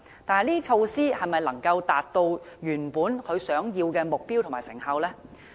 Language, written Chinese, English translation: Cantonese, 但這些措施是否能達致原本的目標和成效呢？, Can these measures achieve the intended goal and effectiveness?